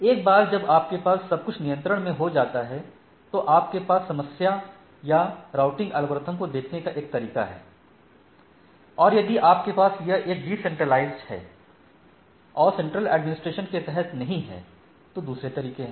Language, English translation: Hindi, Once you have everything under control you have a way of looking at the problem or the routing algorithms and if you have that it is a decentralized and not under a single administration we have to do